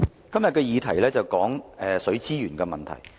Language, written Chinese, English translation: Cantonese, 今天的議題有關水資源問題。, Todays topic is about water resources